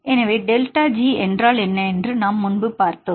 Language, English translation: Tamil, So, as we discussed earlier what is delta G